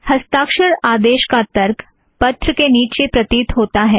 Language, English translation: Hindi, The signature commands argument appears at the bottom of the letter